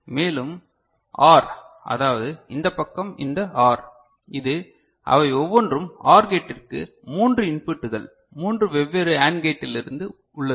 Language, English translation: Tamil, And, this OR, I mean, this side this OR, this; each one of them are OR gate has three input from three different AND gates ok